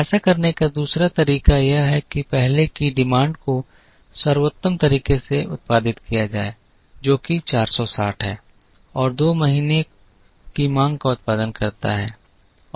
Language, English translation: Hindi, Second way to do it is to produce the first months demand in the best possible way, which is 460 and produce the demands of months two and three in the second month